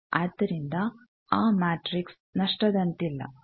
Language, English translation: Kannada, So, that matrix cannot be lossless